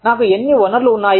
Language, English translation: Telugu, How many resources, do i have